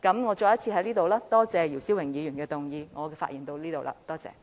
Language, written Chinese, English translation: Cantonese, 我再次感謝姚思榮議員動議這項議案。, Once again I thank Mr YIU Si - wing for moving this motion